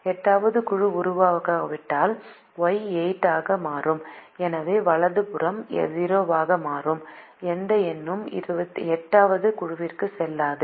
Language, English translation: Tamil, so the right hand side will become zero and no number will go to the eighth group